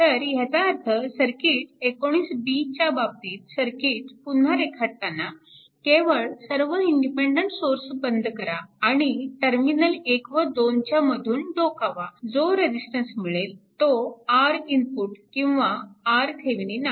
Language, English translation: Marathi, So, that means, in this case in the circuit 19 b that you just redraw the circuit by turning up all the independent sources and from looking from terminal 1 and 2, you find out what is the resistance R input or R Thevenin right